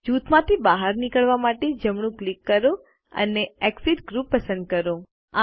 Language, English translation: Gujarati, To exit the group, right click and select Exit Group